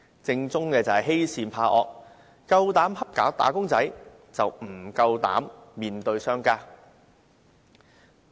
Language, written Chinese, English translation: Cantonese, 政府欺善怕惡，只欺負"打工仔"，不敢面對商家。, The Government bullies the meek and fears the strong so it only bullies wage earners but is afraid of standing up to businessmen